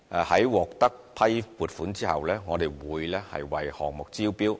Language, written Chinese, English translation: Cantonese, 在獲批撥款後，我們會為項目招標。, Upon approval of funding we will invite tender for the project